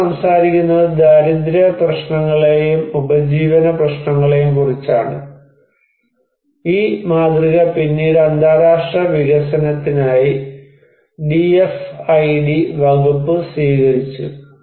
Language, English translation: Malayalam, Well, they are talking about poverty issues and livelihood issues and which was this model was later on adopted by the DFID Department for international development